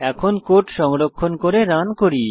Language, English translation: Bengali, Now, let us save and run this code